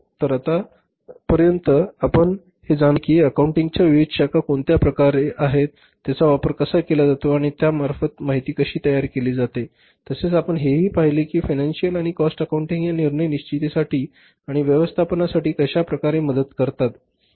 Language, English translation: Marathi, So till date we have understood the different branches of accounting their respective uses and how the information generated under the financial accounting and the cost accounting can be used for the decision making under the process of management accounting